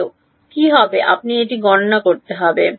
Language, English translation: Bengali, What will be the well you would have to calculate it